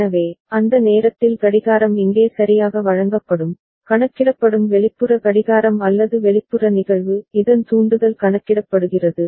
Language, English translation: Tamil, So, at that time clock will be fed here right, the external clock which is getting counted or external event that trigger of which is getting counted